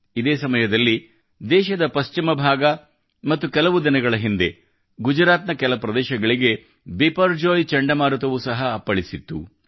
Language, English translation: Kannada, Meanwhile, in the western part of the country, Biparjoy cyclone also hit the areas of Gujarat some time ago